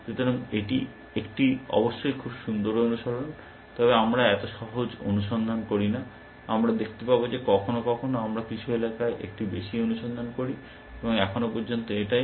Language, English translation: Bengali, so nice in practice of course, we do not do such simple searches, we will see, that sometimes we do a little bit more search in some areas and so on and so far